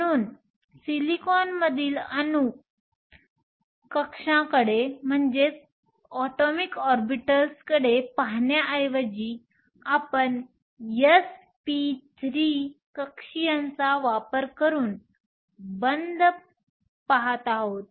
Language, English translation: Marathi, So, instead of looking at atomic orbitals in silicon, we are looking at bonding using, this s p 3 orbitals